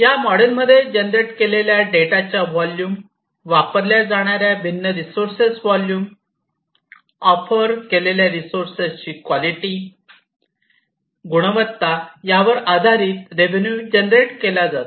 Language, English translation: Marathi, The revenues are generated in this model, based on the volume of the data that is generated, the volume of the different resources that are used, the quality of the resources that are offered